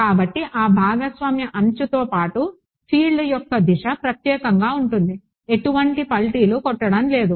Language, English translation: Telugu, So, along that shared edge the direction of the field is unique, there is no flipping happening across so